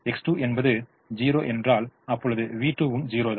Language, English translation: Tamil, so x one equal to three implies v one is equal to zero